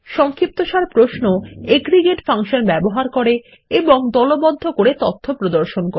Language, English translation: Bengali, Summary queries show data from aggregate functions and by grouping